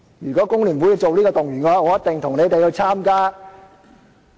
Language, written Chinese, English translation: Cantonese, 如果工聯會這樣動員的話，我一定會參與。, If FTU would mobilize for this cause I will definitely join them